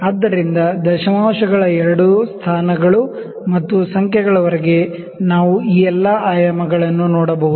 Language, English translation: Kannada, So, up to two places of decimals and even numbers we can see all these dimensions